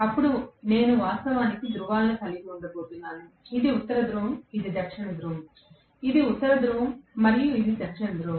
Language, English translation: Telugu, Then I am going to have actually the poles as though, this is the North Pole, this is the South Pole, this is the North Pole, and this is the South Pole